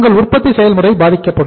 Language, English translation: Tamil, Your production process may get affected